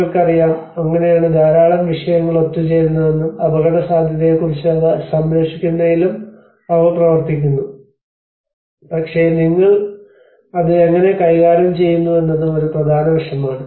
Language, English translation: Malayalam, \ \ And you know that is how a lot of disciplines come together and they work on this assessment of the risk as well, also the conservation but how you manage it is also an important aspect